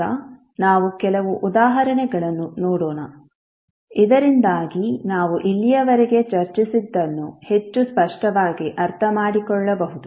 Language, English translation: Kannada, So Nnow let’ us see few of the example, so that we can understand what we discuss till now more clearly